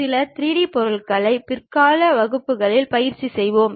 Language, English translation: Tamil, We will practice couple of 3D objects also in the later classes